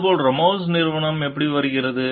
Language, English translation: Tamil, And like then how it comes to be the Ramos s company